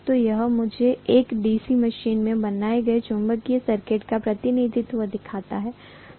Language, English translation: Hindi, So this shows me the representation of the magnetic circuit that is created in a DC machine, fine